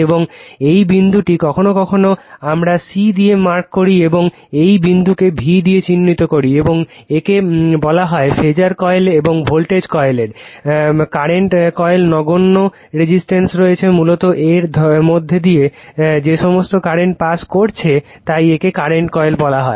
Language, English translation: Bengali, And this point this point some , this point sometimes we mark c and this point marks as v and this is called phasor coil and voltage coil current coil has negligible resistance ; basically, it to , current passing through all the current passing through this your what you call ,your, this is the current coil